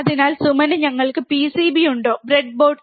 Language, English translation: Malayalam, So, Suman do we have the PCB, breadboard